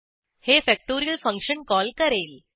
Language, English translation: Marathi, It calls the factorial function